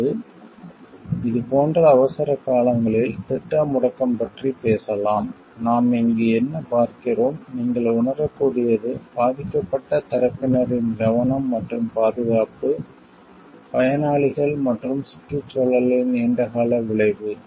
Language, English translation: Tamil, Or like of it can also talk of like plan shutdowns in emergencies, see what we see over here what you can feel over here, is the safety and security of the affected parties the beneficiaries the and the environment at large the long term effect on it are the major concerns which needs to be there